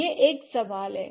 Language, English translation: Hindi, That's one question